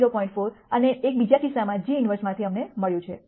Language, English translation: Gujarati, 4 and one we got in the other case come out of this g inverse